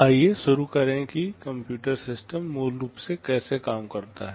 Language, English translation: Hindi, Let us start with how a computer system works basically